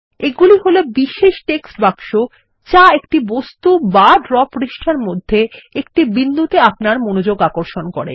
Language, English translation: Bengali, They are special text boxes that call your attention to or point to an object or a location in the Draw page